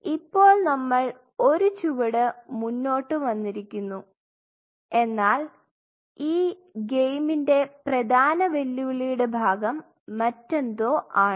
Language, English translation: Malayalam, So, we are taking one step and the most challenging part of the game is something else